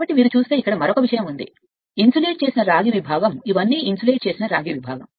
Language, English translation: Telugu, So, another thing is here if you look into the insulated copper segment this is all insulated your copper segment